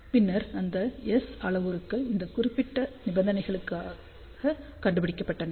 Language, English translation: Tamil, Then those S parameters are found for these particular conditions ok